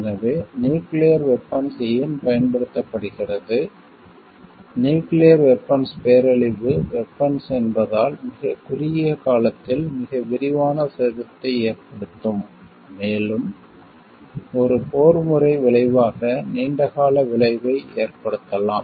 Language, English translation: Tamil, So, nuclear weapon why it is used, as nuclear weapons is a weapons of mass destruction can cause much extensive damage in a very short period of time, and could have a long lasting effect as a warfare result